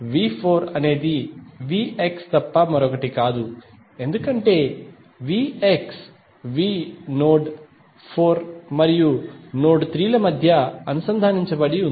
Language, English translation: Telugu, V 4 is nothing but V X because the V X is connected between V the node 4 and node 3